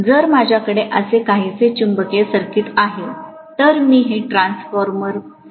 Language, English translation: Marathi, So if I am having a magnetic circuit somewhat like this, let me probably draw this like a transformer